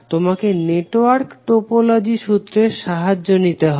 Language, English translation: Bengali, You have to take the help of theorem network topology